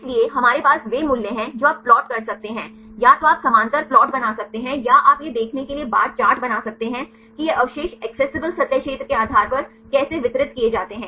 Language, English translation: Hindi, So, we have the values you can plot, either you can make the parallel plot or you can make the bar chart to see how these residues are distributed based on accessible surface area